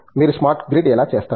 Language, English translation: Telugu, How do you do the smart grid